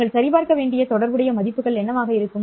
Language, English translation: Tamil, What would be the corresponding values that you have to verify